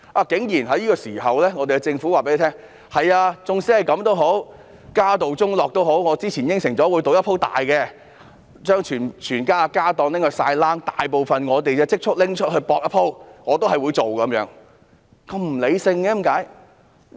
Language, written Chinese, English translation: Cantonese, 在這個時候，政府竟然告訴大家儘管如此，即使家道中落，因為它之前答應了會賭一把，要將全部家當拿去賭、把大部分積蓄拿去"博一鋪"，它仍然要這樣做，為何會那麼不理性呢？, At this moment the Government has even told us that despite this and even if the family is in straitened circumstances they still have to go ahead given their earlier promise to take a gamble they have to gamble with the whole familys fortune and make a final bet with most of our savings . Why are they so irrational?